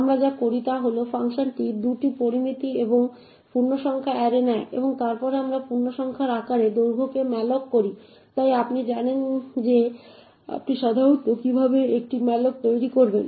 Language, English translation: Bengali, What we do is simple the function takes 2 parameters and integer array followed by the length and then we malloc length into the size of integer, so this as you would know would be typically how you would create a malloc